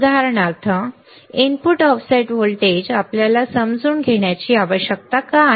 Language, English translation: Marathi, For example, input offset voltage why we need to understand input offset voltage